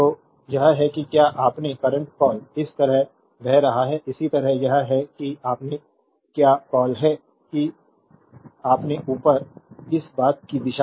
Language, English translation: Hindi, So, this is the that your what you call current is flowing like this, similarly this is your what you call that your upward this thing direction